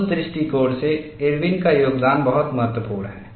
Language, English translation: Hindi, From that point of view, the contribution of Irwin is very significant